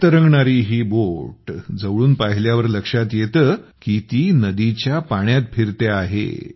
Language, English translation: Marathi, When we look closely at this boat floating in the air, we come to know that it is moving on the river water